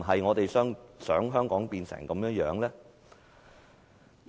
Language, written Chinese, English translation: Cantonese, 我們是否想香港變成這樣呢？, Do we wish to see Hong Kong become that?